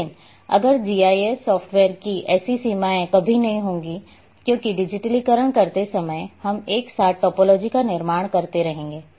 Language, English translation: Hindi, But, if the GIS software’s will never have such problems because while digitizing we will go and keep constructing topology simultaneously